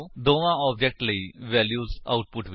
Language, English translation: Punjabi, Display the values for both the objects in the output